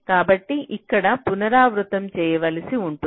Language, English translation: Telugu, so you may have to do an iteration here again